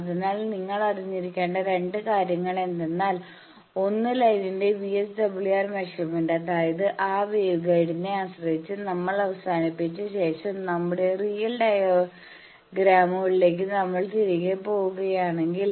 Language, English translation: Malayalam, So, the two things you need to know measurement of VSWR of the line so; that means, in that wave guide depending on with which we have terminated means if we go back to our actual diagrams